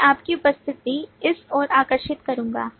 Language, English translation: Hindi, I would draw your attendance for this